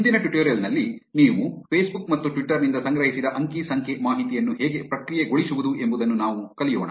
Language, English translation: Kannada, In today's tutorial, what we will learn is how to process the data that you have collected from Facebook and Twitter